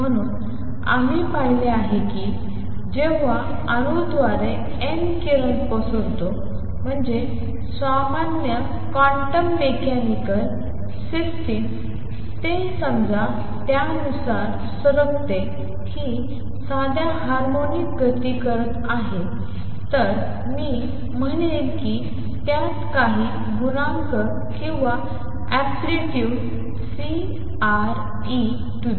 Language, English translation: Marathi, So, far what we have seen when an atom radiates n by atom I mean general quantum mechanical system, it radiates according to suppose is performing simple harmonic motion then I would say that it is has some coefficient or amplitude C tau e raised to i tau omega n t